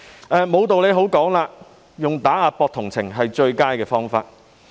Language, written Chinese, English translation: Cantonese, 在沒有道理可講時，借打壓來博取同情是最佳方法。, When these claims are untenable the best way to gain sympathy is to put the blame on suppression